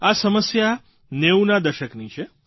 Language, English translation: Gujarati, This problem pertains to the 90s